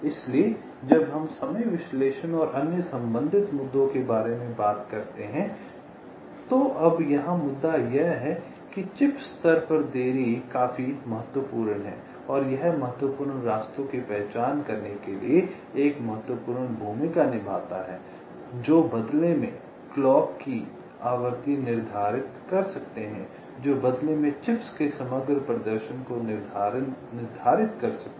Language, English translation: Hindi, so when we talk about ah, the timing analysis and other related issues, now the issue here is that delay at the chip level is quite important and it plays an important role to identify the critical paths which in turn can determine the clock frequency which in turn can determine the overall performance of the chips